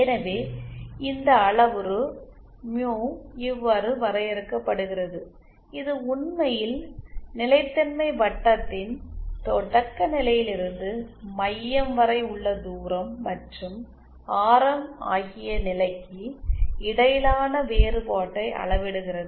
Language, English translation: Tamil, So this parameter mu is defined like this actually measures the difference between the position of center from the origin and radius of the stability circle